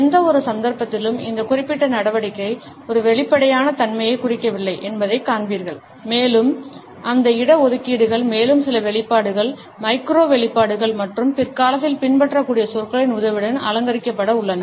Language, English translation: Tamil, In any case you would find that this particular action does not indicate an openness there are certain reservations in the person and these reservations are further to be decorated with the help of other expressions, micro expressions and the words which might follow later on